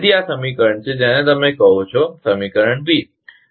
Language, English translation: Gujarati, So, this is equation, your what you call say equation B